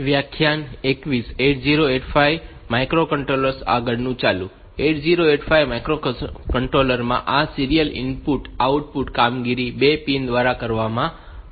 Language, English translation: Gujarati, In 8085 this serial input output operations are performed by 2 pins